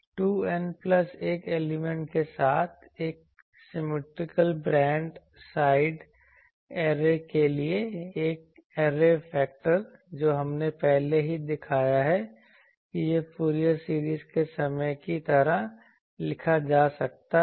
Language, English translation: Hindi, For a symmetrical broad side array with 2 N plus 1 elements, the array factor already we have shown that it can be written like the Fourier series time we have written this